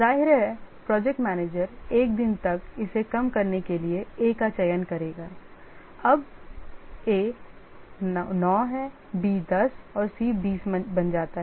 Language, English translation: Hindi, Obviously the project manager will choose A to reduce at first, reduce it by one day, A becomes 9, B 10 and C20